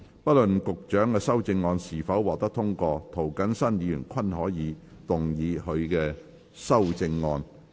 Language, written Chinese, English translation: Cantonese, 不論局長的修正案是否獲得通過，涂謹申議員均可動議他的修正案。, Irrespective of whether the Secretarys amendments are passed or not Mr James TO may move his amendment